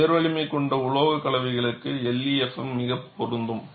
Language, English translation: Tamil, LEFM is ideally applicable for high strength alloys